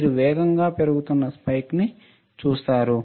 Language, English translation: Telugu, You see fast rising spike